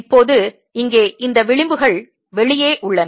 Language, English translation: Tamil, now there have this edges out here